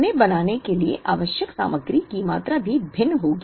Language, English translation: Hindi, The amount of material required to make them would also be different